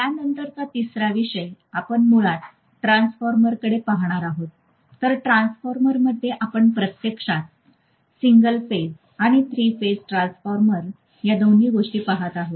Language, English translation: Marathi, The third topic after this we are going to look at, basically transformers, so in transformers we will be actually looking at both single phase and three phase transformers